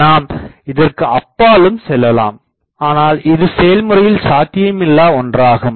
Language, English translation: Tamil, You will have to go beyond that, but that is physically not possible